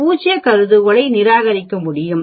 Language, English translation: Tamil, 01 so you do not reject null hypothesis